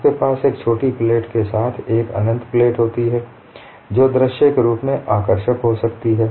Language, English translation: Hindi, You have an infinite plate with a small circular hole that could be visually appealing